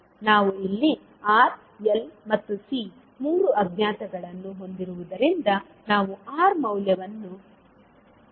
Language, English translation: Kannada, Since we have 3 unknown here R, L and C, we will fix one value R